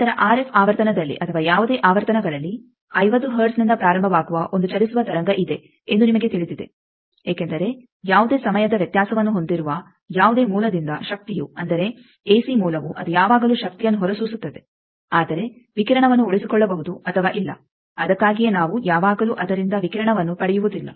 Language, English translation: Kannada, Then you know that at RF frequency or actually at any frequencies starting form 50 hertz there is a wave that goes, because energy from any source which is having any time variation that means any ac source that always radiates energy, it always radiates but that radiation may be sustained may not be that is why we do not always get radiation from it